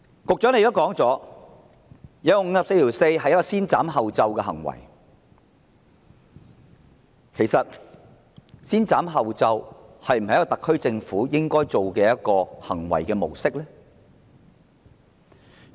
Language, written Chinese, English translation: Cantonese, 局長承認援引《議事規則》第544條是先斬後奏之舉，但這是否特區政府應該採取的行為模式？, The Secretary admitted that when invoking Rule 544 of the Rules of Procedure he had made the decision before a permission was actually given for doing so . Is this an approach which the SAR Government should adopt?